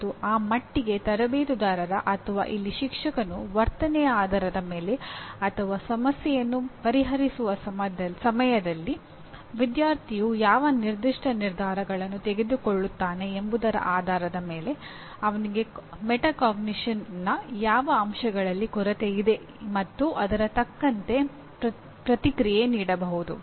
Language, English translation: Kannada, And to that extent the only coach or here the teacher based on the behavior or actually based on what specific decisions the student is making at the time of solving the problem he only can guess whether to on what aspects of metacognition he is deficient and give feedback accordingly